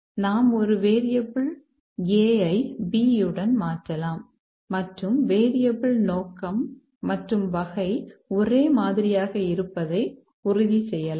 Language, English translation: Tamil, We can replace a variable A with B and ensuring that the scope and type of the variable are the same